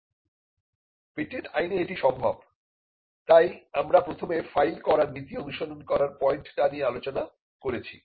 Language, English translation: Bengali, This is possible because patent law and this is the point that we discussed and follows the first to file principle